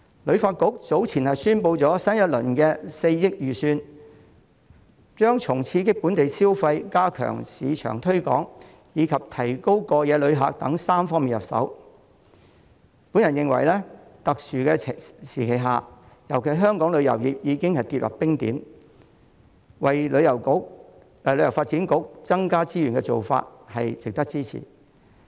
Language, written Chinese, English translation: Cantonese, 旅發局早前宣布新一輪的4億元預算將從刺激本地消費、加強市場推廣，以及提高過夜旅客數目等3方面入手，我認為在特殊時期尤其是當香港旅遊業已經跌至冰點時，為旅發局增加資源的做法值得支持。, As announced by HKTB earlier with the new budget of 400 million a three - pronged strategy ie . stimulating domestic consumption stepping up marketing efforts and boosting the number of overnight visitors will be adopted . I consider that under the exceptional circumstances particularly when Hong Kongs tourism industry has come to a standstill the allocation of additional resources to HKTB merits support